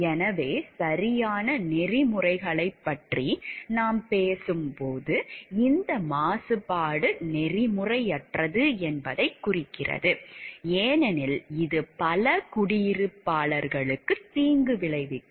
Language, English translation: Tamil, So, when we talk of the rights ethics, it indicates that this pollution is unethical, because it causes harm to many of the residents